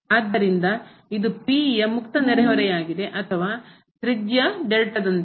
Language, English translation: Kannada, So, this is the open neighborhood of P or with radius this delta